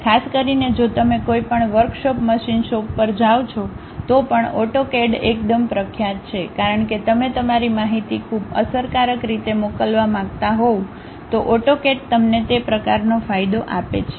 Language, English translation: Gujarati, And especially if you are going to any workshops machine shops still AutoCAD is quite popular, because you want to send your information in a very effective way AutoCAD really gives you that kind of advantage